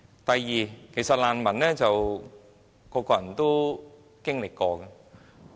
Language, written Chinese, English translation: Cantonese, 第二點，其實難民生活是很多人都經歷過的。, Secondly many people actually have such an experience as refugees